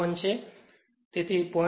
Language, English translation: Gujarati, 01 so, you are getting 0